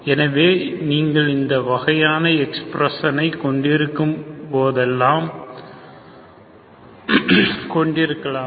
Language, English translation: Tamil, So you can have this kind of expression, okay